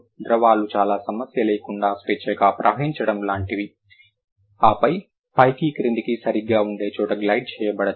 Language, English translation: Telugu, Liquids are like flowing freely without much problem and then glide where it must be kind of up and down thing, right